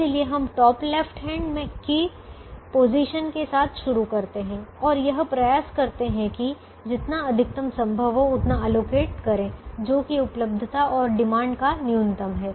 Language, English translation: Hindi, so we start with the top left hand position and we try to allocate whatever maximum possible, which is the minimum of what is available and what is demanded